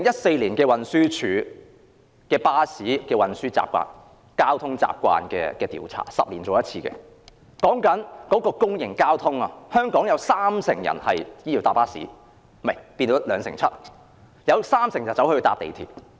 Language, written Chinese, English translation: Cantonese, 根據運輸署《2011年交通習慣調查》——是每10年進行一次的調查——在公營交通方面，全港有兩成七人乘搭巴士，另有三成人乘搭港鐵。, According to the Travel Characteristics Survey 2011 conducted by the Transport Department―a survey conducted once every 10 years―in respect of public transport 27 % of people in Hong Kong travelled by bus and 30 % by rail